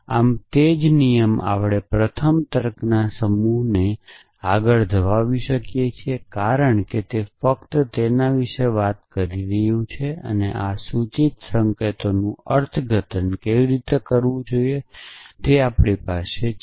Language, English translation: Gujarati, Thus, same rule we can carry forward to first set of logic because it is only talking about, how to interpret this implication sign essentially even that we have essentially